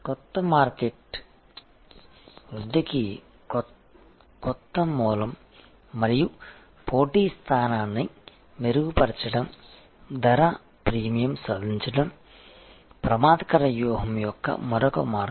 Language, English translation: Telugu, And new markets are new source of growth and improving competitive position another way of offensive strategy is achieve price premium